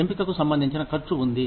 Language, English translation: Telugu, There is a cost involved with selection